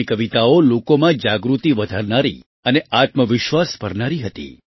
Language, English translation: Gujarati, Her poems used to raise awareness and fill selfconfidence amongst people